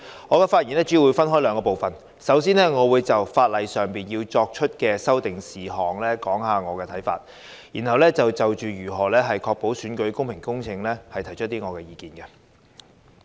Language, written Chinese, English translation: Cantonese, 我的發言主要分為兩部分，首先我會就法例上作出的修訂事項，說說我的看法，然後就如何確保選舉公平公正，提出意見。, I will divide my following speech into two main parts firstly the proposed amendments in the Bill; and secondly how to ensure a fair and just election